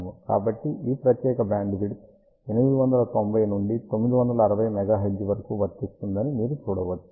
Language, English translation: Telugu, So, you can see that this particular bandwidth covers 890 to 960 megahertz